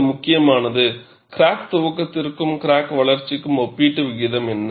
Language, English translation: Tamil, And it is also important, what is the relative proportion of crack initiation versus crack growth